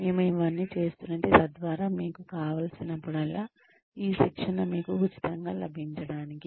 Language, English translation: Telugu, We are doing all this, so that, this training is available to you, free of cost, whenever you wanted